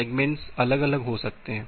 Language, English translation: Hindi, The difference segments may vary